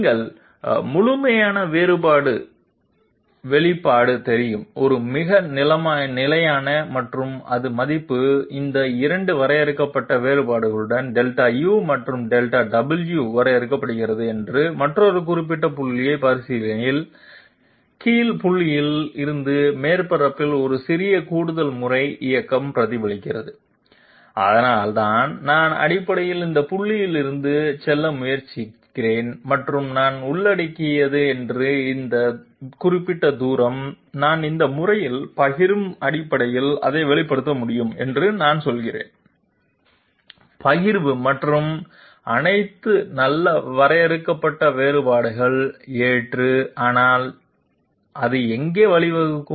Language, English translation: Tamil, This is a very standard you know expression of the complete differential and it represents a small incremental movement along the surface from the point under consideration to another particular point whose value would be defined by these 2 finite differences Delta u and Delta w, so I am essentially trying to move from this point to this point and I am saying that this particular distance that I am covering, I can express it in terms of the partials in this manner, partials and finite differences in this manner that is all quite good, acceptable, but where does it lead to